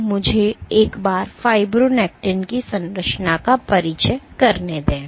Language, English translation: Hindi, So, let me once again introduce the structure of fibronectin